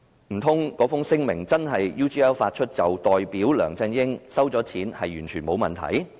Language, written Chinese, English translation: Cantonese, 難道那份聲明真的由 UGL 發出，便代表梁振英收錢也完全沒有問題？, Does it mean that there is no problem with LEUNG Chun - yings receiving the amount of money if the statement was really made by UGL?